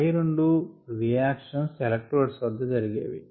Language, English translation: Telugu, these are two reactions that take place at the electrodes